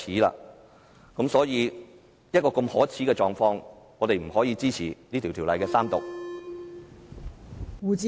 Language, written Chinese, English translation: Cantonese, 在一個如此可耻的狀況下，我們不可以支持《條例草案》的三讀。, Under such a shameful situation we cannot support the Third Reading of the Bill